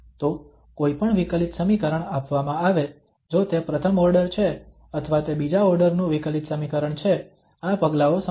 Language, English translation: Gujarati, So given any differential equation whether it is first order or it is second order differential equation, these steps will remain the same